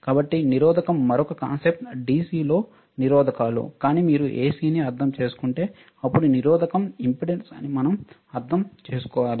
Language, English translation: Telugu, So, resistors another concept in DC is resistance right, but if you understand AC then the resistance is not any more valid and we have to understand the impedance